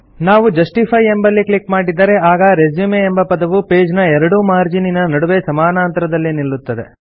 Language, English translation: Kannada, If we click on Justify, you will see that the word RESUME is now aligned such that the text is uniformly placed between the right and left margins of the page